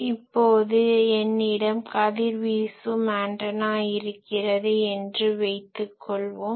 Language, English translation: Tamil, That is suppose I have a radiating antenna